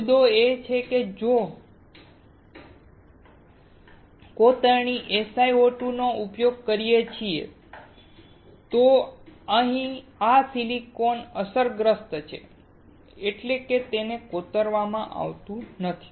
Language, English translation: Gujarati, The point is that if we use SiO2, this silicon here is affected, that is, it does not get etched